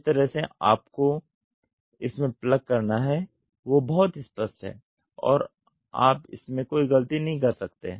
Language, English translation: Hindi, The side which you have to plug it in is very clear and you cannot make any mistakes